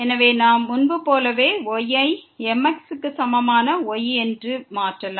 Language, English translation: Tamil, So, y we can substitute as earlier, is equal to